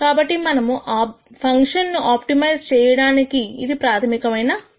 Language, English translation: Telugu, So, this is the basic idea about how we optimize this function